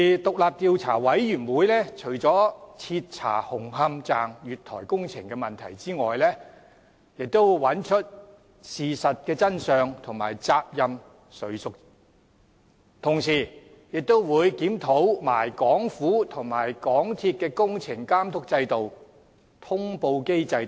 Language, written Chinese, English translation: Cantonese, 獨立調查委員會除了徹查紅磡站月台工程的問題外，亦找出事實真相及責任誰屬，同時也會檢討港府和港鐵公司的工程監督制度及通報機制等。, Apart from conducting a thorough inquiry into the works at the platforms of Hung Hom Station the Commission of Inquiry will find out the facts and which parties should be held liable . At the same time it will review the systems of supervision of works and notification of the Hong Kong Government and MTRCL etc